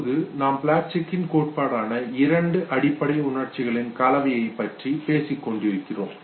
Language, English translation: Tamil, Right now we were talking about the Plutchik’s theory where we talked about the combination of two of the basic emotions